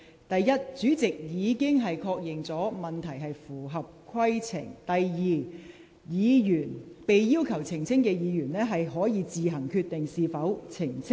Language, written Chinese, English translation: Cantonese, 第一，主席已確認有關的質詢合乎規程；第二，被要求澄清的議員可以自行決定是否作出澄清。, Firstly the President has ruled that the question concerned is in order . Secondly the Member who has been asked to clarify can decide whether he or she will make a clarification